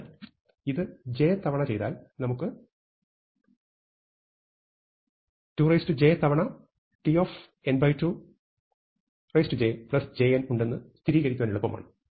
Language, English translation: Malayalam, So, it is easy to verify that if you do this j times we will have 2 to the power j times t of n by 2 to the power j plus j n